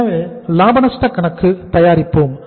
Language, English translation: Tamil, So this is the profit and loss account